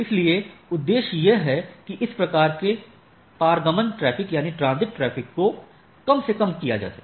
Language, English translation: Hindi, So, it is one of the objective may minimize this type of transit traffic